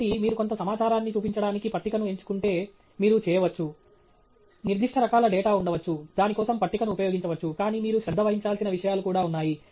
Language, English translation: Telugu, So, if you do select to show some information using a table, you can, there may be specific kinds of data for which a table makes sense but there are things that you have to pay attention to